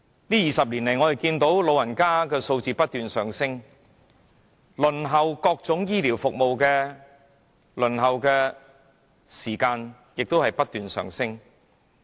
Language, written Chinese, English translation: Cantonese, 在過去20年，長者的數字不斷上升，而各種醫療服務的輪候時間亦同樣不斷上升。, The number of elderly persons has been increasing over the past 20 years so has the waiting time for various health care services